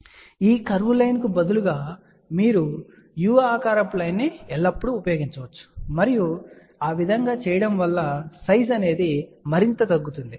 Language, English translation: Telugu, So, instead of this curved line, you can always use a u shape line and that way the size can be reduced even further